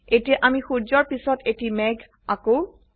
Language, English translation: Assamese, Now, let us draw a cloud next to the sun